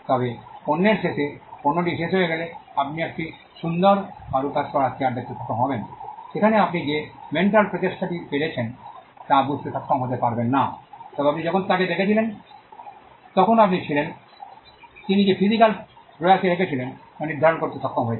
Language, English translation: Bengali, But at the end of the product, when the product gets done, you will be able to see a beautiful crafted chair, where you may not be able to discern the mental effort that went in, but you were while you were watching him, you were able to ascertain the physical effort that he as put in